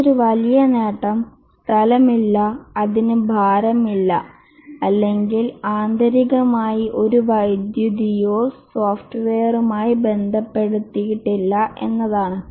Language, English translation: Malayalam, The other big advantage is that consumes no space, it has no weight or intrinsically there is no power associated with software